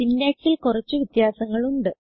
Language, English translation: Malayalam, There are a few differences in the syntax